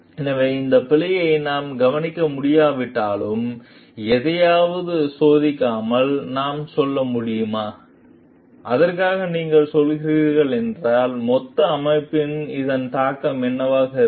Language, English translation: Tamil, So, even if like can we overlook this error, like and can we just go without testing for something, and if you are going for it, then what will be the impact of that on the total system